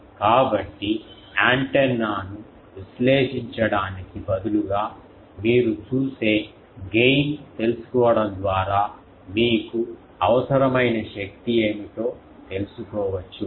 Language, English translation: Telugu, So, knowing the gain you see instead of analyzing the antenna also you can find out what is the power required